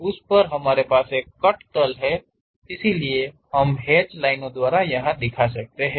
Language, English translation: Hindi, On that we have a cut plane, so we show it by dashed lines